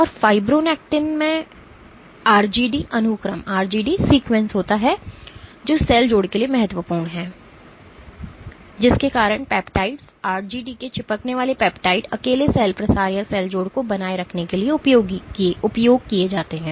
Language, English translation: Hindi, And fibronectin has that RGD sequence which is critical for cell addition, and that has led to peptides, adhesive peptides of RGD being alone used for sustaining cell spreading or cell addition